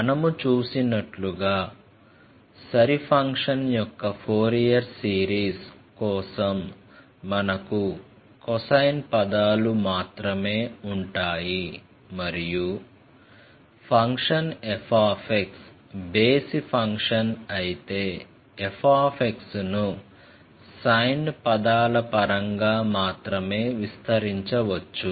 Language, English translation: Telugu, As you have seen, for the Fourier series of even function, then we have only the terms of cosine and if the function f x is odd function, then f x can be expanded in terms of sine terms only